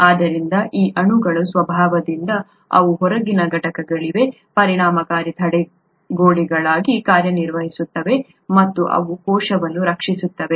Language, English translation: Kannada, So by the very nature of these molecules they act as effective barriers to outside components and they protect the cell